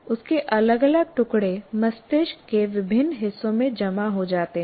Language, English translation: Hindi, Different bits of that are stored in different parts of the brain